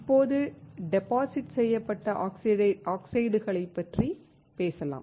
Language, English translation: Tamil, Now, let us talk about deposited oxides